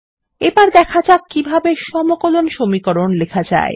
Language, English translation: Bengali, Now let us see how to write Integral equations